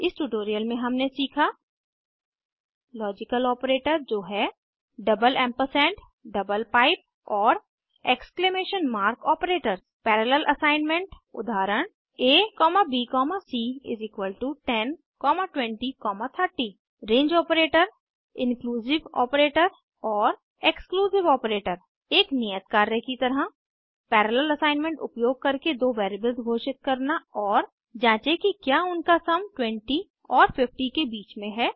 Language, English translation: Hindi, In this tutorial, we have learnt Logical operator i.e double ampersand, double pipe and exclamation mark operators Parallel assignment Ex: a,b,c=10,20,30 Range Operator Inclusive operator (..) and Exclusive operator(...) As an assignment Declare two variables using parallel assignment and Check whether their sum lies between 20 and 50 Watch the video available at the following link